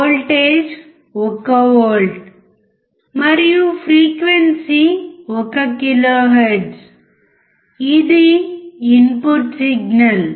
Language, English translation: Telugu, Voltage is 1 volt, and frequency is 1 kilohertz, this is the input signal